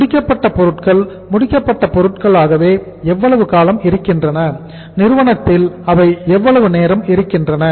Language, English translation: Tamil, How long the finished goods remain as finished goods and how much time they take to stay in the firm